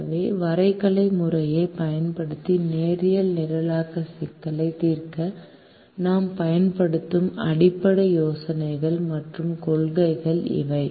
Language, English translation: Tamil, so these are the basic ideas and principles that we use to solve the linear programming problem using the graphical method